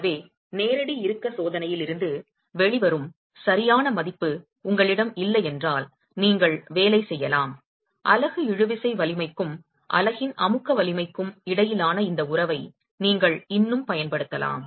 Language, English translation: Tamil, So you could work with, if you don't have the exact value coming out of a direct tension test, you could still use this relationship between the tensile strength of the unit and the compressive strength of the unit itself